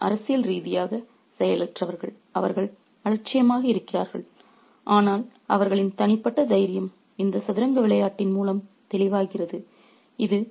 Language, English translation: Tamil, So, they are politically passive, they are indifferent and but their personal courage is made evident through this game of chess as well